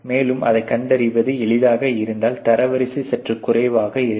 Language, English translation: Tamil, And if it is easy to detect then the rank would be slightly lower